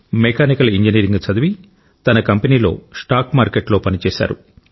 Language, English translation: Telugu, Jonas, after studying Mechanical Engineering worked in his stock market company